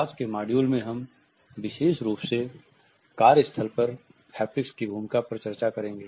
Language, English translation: Hindi, In today’s module we would discuss the role of Haptics particularly at the workplace